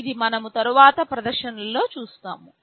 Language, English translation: Telugu, This we shall be seeing in the demonstration later